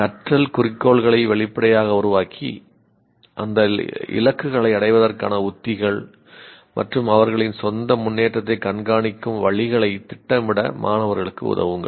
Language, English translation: Tamil, Make learning goals explicit and help students to plan strategies and ways of monitoring their own progress towards achieving these goals